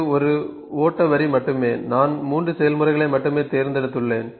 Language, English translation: Tamil, This is just one flow line, I have just picked 3 processes ok